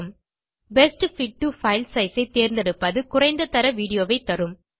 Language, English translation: Tamil, Choosing Best fit to file size will give a lower quality video but with a smaller file size